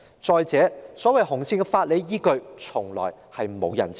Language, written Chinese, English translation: Cantonese, 再者，所謂"紅線"的法理依據，從來沒有人知道。, After all the legal basis of these so - called red lines has never been made known